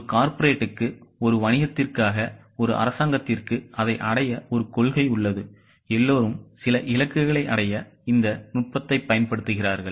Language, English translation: Tamil, Like that for a corporate, for a business, for a government, everybody uses this technique for achieving certain targets